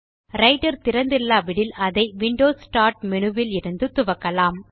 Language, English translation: Tamil, If Writer is not open, we can invoke it from the Windows Start menu